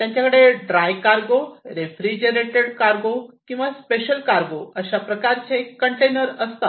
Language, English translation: Marathi, So, they have the dry cargo, refrigerated cargo or special cargo